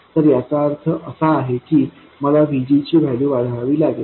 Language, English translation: Marathi, So, the way to make it smaller is by reducing the value of VG